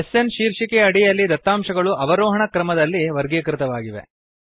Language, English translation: Kannada, The data is sorted under the heading SN and in the descending order